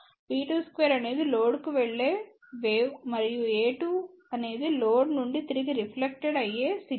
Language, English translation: Telugu, b 2 square is the wave which is going to the load and a 2 is the reflected back signal from the load